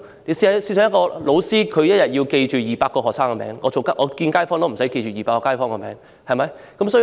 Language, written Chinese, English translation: Cantonese, 例如，一名教師要記住200個學生的名字，但我不用記住200個街坊的名字。, For instance a teacher has to remember the names of 200 students but I do not have to remember the names of 200 people in the district